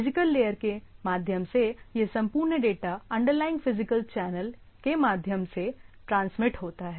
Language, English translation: Hindi, Like at the physical layer, physical level, this whole data is transmitted through the underlying physical channel right